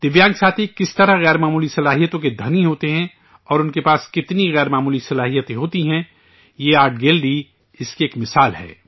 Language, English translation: Urdu, How Divyang friends are rich in extraordinary talents and what extraordinary abilities they have this art gallery is an example of that